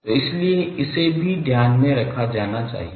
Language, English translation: Hindi, So, that is why this also should be taken into account